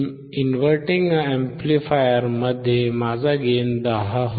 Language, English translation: Marathi, If it is inverting amplifier, it will be 10, right